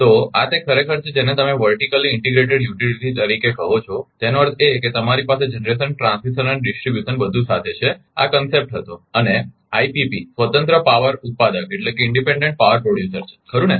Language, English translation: Gujarati, So this is actually ah your what you call that vertically integrated utilities, that mean you have everything together generation, transmission and distribution this was the concept and IPP is the independent power producer right